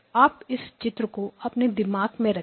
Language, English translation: Hindi, Now keep this picture in mind